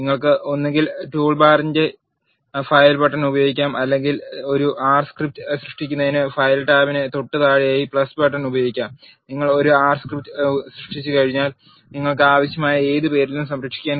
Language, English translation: Malayalam, You can either use file button in the toolbar or you can use the plus button just below the file tab to create an R script, once you create an R script you can save it with whatever name you want